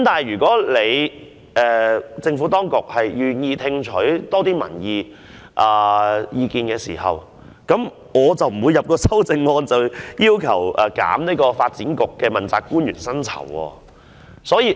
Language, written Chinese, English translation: Cantonese, 然而，若政府真的願意多聽取民意，我便無需提出修正案，要求削減發展局問責官員的薪酬了。, Yet if the Government is really willing to listen more extensively to public views there should be no need for me to move such an amendment to cut the emoluments of politically appointed officials of the Development Bureau